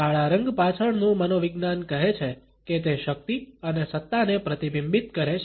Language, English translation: Gujarati, The psychology behind the color black says that it reflects power and authority